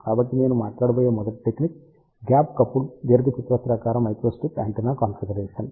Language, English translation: Telugu, So, first technique which I am going to talk about this gap coupled rectangular microstrip antenna configuration